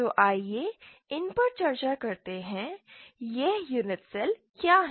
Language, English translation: Hindi, So let us discuss these, what are these unit cells